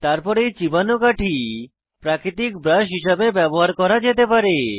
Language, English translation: Bengali, * Then this chewed stick can be used as a natural brush